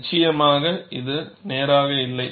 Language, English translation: Tamil, Definitely, this is not straight